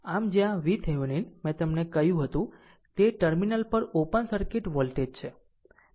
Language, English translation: Gujarati, So, where V Thevenin, I told you it is open circuit voltage at the terminal